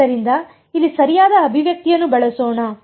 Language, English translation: Kannada, So, let us use the correct expression of here